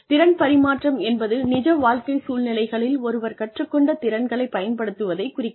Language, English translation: Tamil, Skills transfer refers to being, able to use the skills, that one has learnt, in real life situations